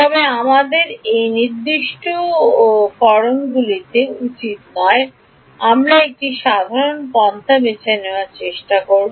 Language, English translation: Bengali, But we need not get into those specifics ok, we will try to give a general approach